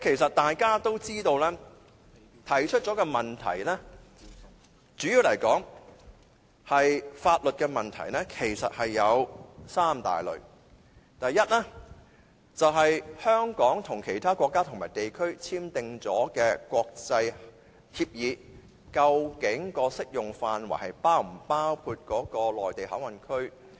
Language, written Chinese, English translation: Cantonese, 我們提出的問題主要是法律問題，這些問題有三大類：第一，香港與其他國家和地區已簽訂的國際協議的適用範圍是否包括內地口岸區？, The problems raised by us are mainly legal problems . They can be divided into three major categories Firstly are the international agreements signed between Hong Kong and other countries and regions applicable to MPA?